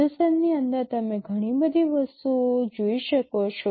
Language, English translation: Gujarati, Inside the processor you can see so many things